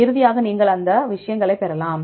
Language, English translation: Tamil, And finally, you can get these things